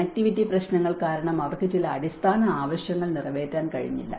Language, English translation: Malayalam, They were unable to serve some basic needs because of the connectivity issues